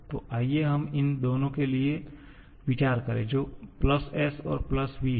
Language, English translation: Hindi, So, let us consider for these two, +s and +v